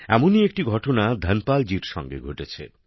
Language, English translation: Bengali, Something similar happened with Dhanpal ji